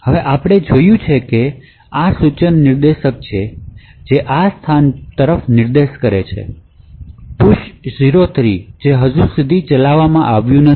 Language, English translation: Gujarati, So, now we have seen that there is the instruction pointer pointing to this location push 03 which has not yet been executed